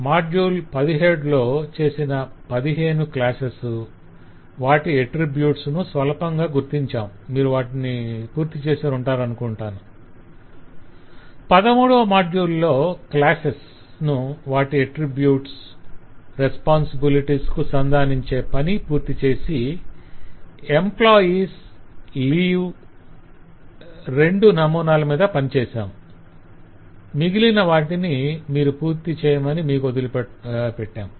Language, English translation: Telugu, we have identified the attributes for this classes partly you have completed them already i hope and in module 18 we have completed that task of associating the classes with attributes and responsibilities and worked out two samples for employee and leave and left it as an exercise to complete for you all